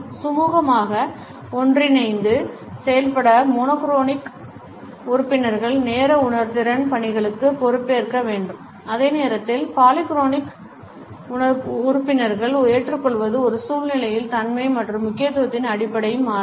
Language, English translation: Tamil, In order to work together smoothly, monotonic members need to take responsibility for the time sensitive tasks while accepting the polyphonic members will vary the base on the nature and importance of a situation